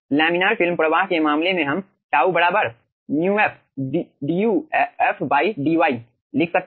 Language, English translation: Hindi, incase of laminar film flow, we can write down: tau equals to mu f into duf by dy